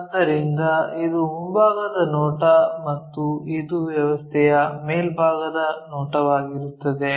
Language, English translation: Kannada, So, this will be the front view and this will be the top view of the system